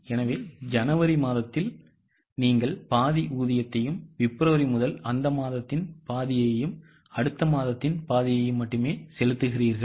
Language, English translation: Tamil, So, in the month of Jan, you only pay half the wages and from February onwards half of the same month, half of the next month